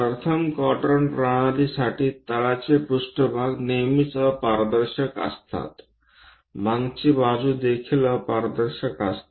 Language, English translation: Marathi, For first quadrant system the bottom plane always be opaque plane similarly, the back side is also opaque